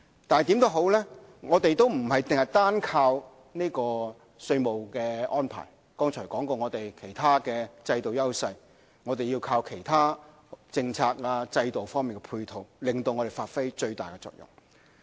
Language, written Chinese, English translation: Cantonese, 無論如何，我們不是單靠稅務安排，剛才提到我們其他制度的優勢，我們要靠其他政策、制度方面提供配套，令我們發揮最大的作用。, Nevertheless we do not count on tax arrangement alone . We also count on the many other systems that we have an edge like those I just mentioned and other policies as a complement so as to bring out the biggest potential we have